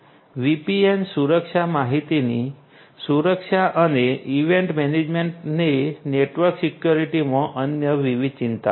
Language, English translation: Gujarati, VPN security, security of information and event management these are all the different other concerns in network security